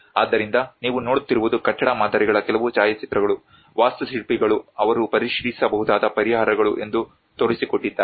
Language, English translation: Kannada, So what you are seeing is a few photographs of the building models which the architects have demonstrated that these are the solutions which they may review